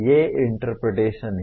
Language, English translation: Hindi, These are interpretation